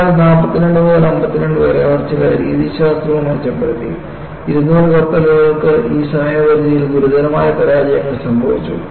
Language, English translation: Malayalam, And, between 1942 to 52, they had also improved some of the methodologies and 200 suffered serious fractures in this time frame